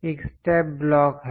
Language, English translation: Hindi, There is a step block